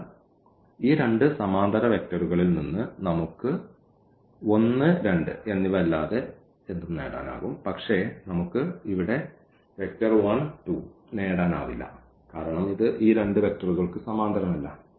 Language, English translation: Malayalam, So, we can get anything in this in this parallel to this these two vectors, but we cannot get for instance here 1 and 2 which is not parallel to these two vectors the given vectors